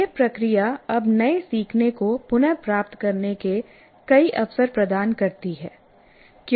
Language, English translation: Hindi, This process now gives multiple opportunities to retrieve new learning